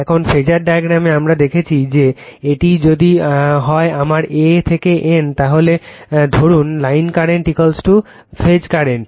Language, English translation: Bengali, Now, somewhat phasor diagram we have seen that if this is this is my A to N, this is my say your line current is equal to phase current